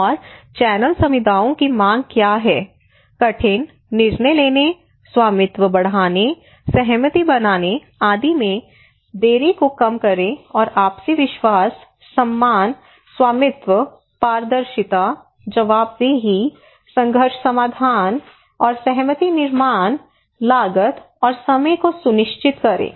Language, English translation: Hindi, And what are the mechanism to channel communities demand, reduce delay in difficult, decision making, enhance ownership, build consensus etc and ensure mutual trust, respect, ownership, transparency, accountability, conflict resolution and consensus building, and cost and time effective